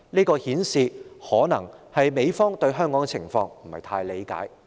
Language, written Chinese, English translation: Cantonese, 這顯示美方對香港的情況可能不太理解。, It reflects that the United States may not fully understand the situation in Hong Kong